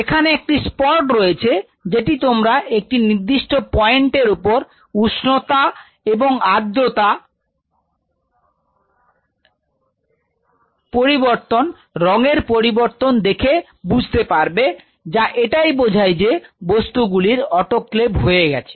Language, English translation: Bengali, So, there is a spot you will see after a certain point of heat and moisture the color of that thing changes, which indicates that this stuff has been autoclaved